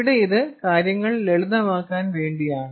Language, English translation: Malayalam, this is just to make lives simple here